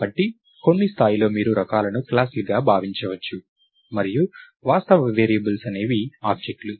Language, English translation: Telugu, So, at some level you can think of types as classes and actual variables are objects